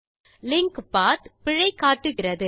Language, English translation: Tamil, The linked path shows an error